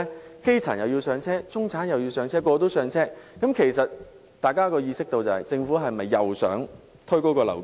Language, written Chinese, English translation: Cantonese, 當基層要"上車"，中產要"上車"，人人也要"上車"時，大家便意識到政府是否想再次推高樓價？, When the grass roots the middle class and everyone else need to buy their own homes then people may wonder is the Government trying to push up the property prices?